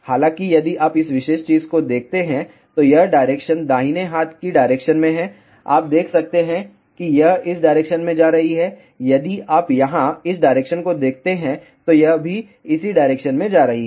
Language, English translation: Hindi, However, if you look at this particular thing the direction of this is in the right hand direction, you can see it is going in this direction, if you look at the direction of this one here, it is also going in this particular direction